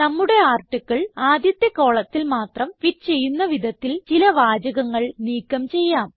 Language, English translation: Malayalam, Let us delete some sentences so that our article fits in the first column only